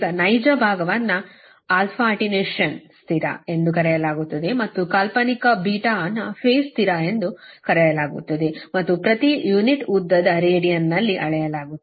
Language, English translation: Kannada, now, real part: alpha is known as attenuation constant and the imaginary beta is known as the phase constant and beta is measured in radian per unit length